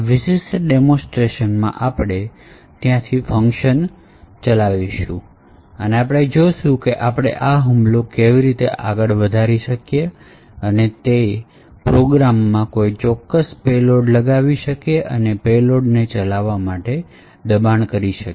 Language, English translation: Gujarati, In this particular demonstration we will work from there and we will see how we can enhance that attack and inject a particular payload into that program and force that payload to execute